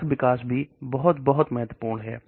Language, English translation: Hindi, So assay development is also very, very important